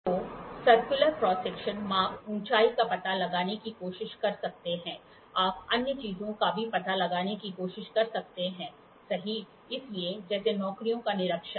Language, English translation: Hindi, So, circular cross sections you can try to find out the height, you can try to find out other things also, right, so, inspection of jobs